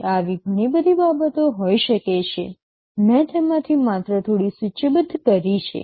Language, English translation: Gujarati, And there can be many more such things, I have only listed a few of them